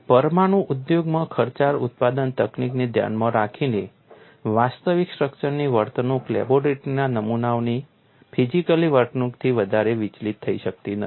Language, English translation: Gujarati, In view of costly production techniques in nuclear industries, the behavior of the actual structures may not deviate much from material behavior of laboratory specimens